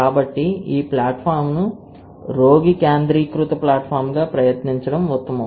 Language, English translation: Telugu, So, it is worth trying this platform as a patient centric platform